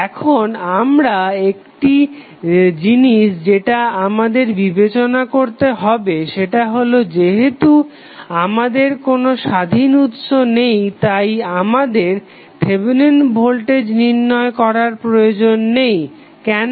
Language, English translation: Bengali, Now, another thing which we have to consider is that since we do not have any independent source we need not to have the value for Thevenin voltage, why